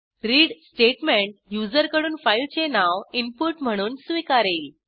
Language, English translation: Marathi, read statement takes input as filename from the user